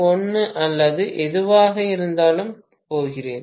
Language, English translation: Tamil, 1 or whatever